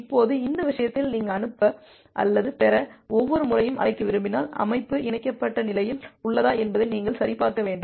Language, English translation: Tamil, Now in this case you can see that well every time you want to make a call to the send or receive, you have to check that the system is in the connected state